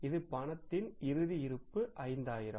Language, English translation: Tamil, Sorry, minimum cash balance desired is 5,000